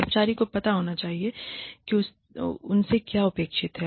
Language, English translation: Hindi, Employee should know, what is expected of them